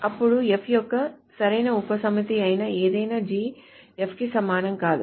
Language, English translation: Telugu, Then any G which is a proper subset of F is not equivalent to F